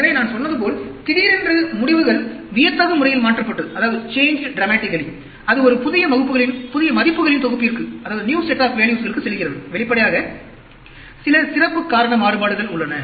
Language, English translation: Tamil, So, like I said, suddenly, the result, the results are changed dramatically and it goes to a new set of values, obviously, there is some special cause variation